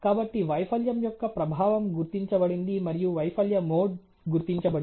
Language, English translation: Telugu, So, was the effect of the failure has been identified and the failure mode has been identified ok